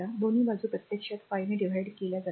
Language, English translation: Marathi, Both side actually divided by 5